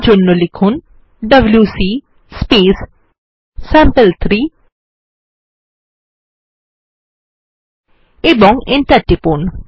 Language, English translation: Bengali, For that we would write wc sample3 and press enter